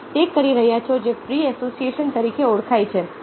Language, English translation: Gujarati, you are doing what is known as re association